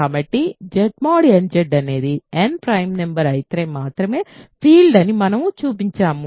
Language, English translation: Telugu, So, we have shown that Z mod nZ is a field if and only if n is a prime number ok